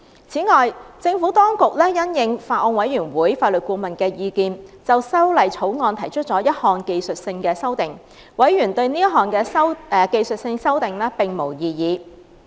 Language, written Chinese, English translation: Cantonese, 此外，政府當局因應法案委員會法律顧問的意見，就《條例草案》提出了一項技術性修訂，委員對這項技術性修訂並無異議。, Moreover the Administration took into account the observations of the Legal Adviser to the Bills Committee and proposed a technical amendment to the Bill . Members expressed no objection to the technical amendment